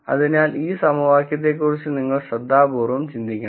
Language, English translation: Malayalam, So, you have to think carefully about this equation